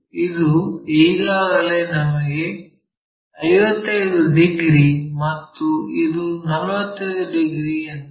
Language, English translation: Kannada, This is already we know 55 degrees and this one already we know 45 degrees